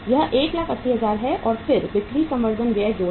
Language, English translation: Hindi, This is 1,80,000 and then add sales promotion expense